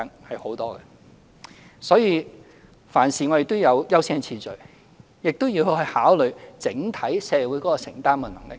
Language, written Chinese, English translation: Cantonese, 我們處理事情時要有優先次序，亦要考慮整體社會的承擔能力。, We must accord priority in dealing with these issues and we must consider the affordability of society as a whole